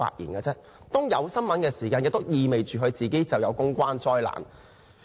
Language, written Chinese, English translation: Cantonese, 當圍繞他出現新聞時，意味着他造成了公關災難。, He must have created public relations disasters if there is news about him